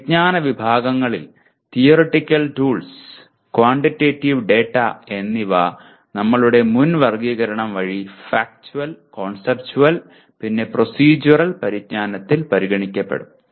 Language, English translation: Malayalam, Of these knowledge categories, the theoretical tools and quantitative data can be considered addressed by our previous categorization namely Factual, Conceptual, and Procedural knowledge